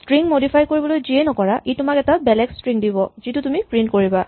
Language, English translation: Assamese, So, anything you can do to modify a string will give you another string that is what you are going to print